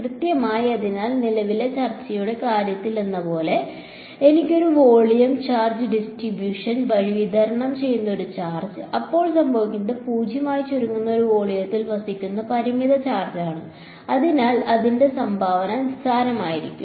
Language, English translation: Malayalam, Exactly; so, just like in the case of the current discussion if I had a volume charge distribution a charge that is distributed through the volume then what will happen is the finite charge residing in a volume that is shrinking to 0; so its contribution will be negligible